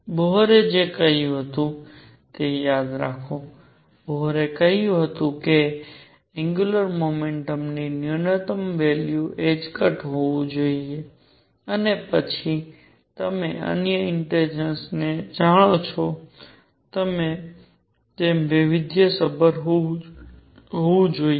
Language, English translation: Gujarati, Remember what Bohr had said Bohr had said the minimum value of angular momentum should be h cross and then it varied as you know the other integers